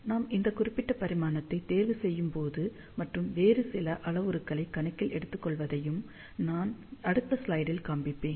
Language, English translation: Tamil, And when we choose this particular dimension, and take some other parameters into account, which I will show in the next slide